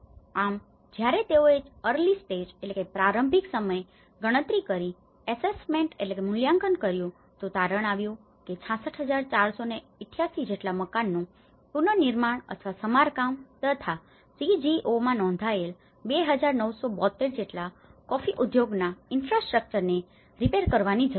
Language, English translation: Gujarati, So, when they make this assessment of the early stage the census says 6,648 houses need to be reconstructed or repaired and 2,972 coffee industry infrastructures registered with the CGO need to be repaired